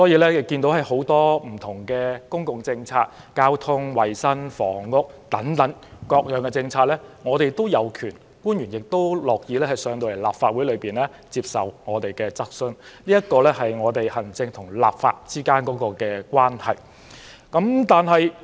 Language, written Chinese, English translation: Cantonese, 所以，就着很多不同的公共政策，包括交通、衞生和房屋等政策，我們均有權提出質詢，而官員亦樂意前來立法會接受質詢，這是行政與立法之間的關係。, Hence we do have the power to raise questions to the Government on different public policy issues including transport health care and housing and public officers are also willing to attend before this Council to answer questions . This is the relationship between the Executive Authorities and the legislature